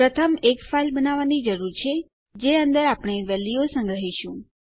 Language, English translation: Gujarati, So the first thing we need to do is create a file in which to store our value in